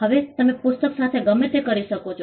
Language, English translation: Gujarati, Now, you can do whatever you want with the book you can